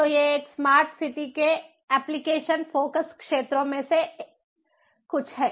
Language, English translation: Hindi, so these are some of the application focus areas of smart city